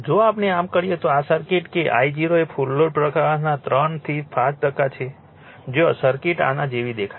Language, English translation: Gujarati, If we do so then this circuit that your I 0 is 3 to 5 percent of the full load current where circuits looks like this